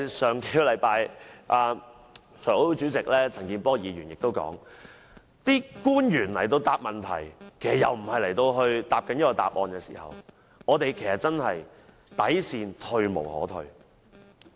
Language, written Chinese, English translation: Cantonese, 上星期財委會主席陳健波議員也提及，官員回答問題時答非所問，議員的底線退無可退。, Last week Mr CHAN Kin - por Chairman of the FC also said officials responses were completely irrelevant to the questions asked which had hit Members bottom line